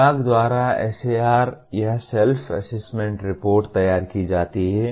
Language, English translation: Hindi, The institutions, the SAR or Self Assessment Report is prepared by the department